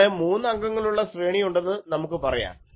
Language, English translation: Malayalam, So, here let us say that we have three element array